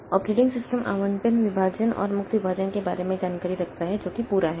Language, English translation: Hindi, Operating system maintains information about allocated partitions and free partitions that is a whole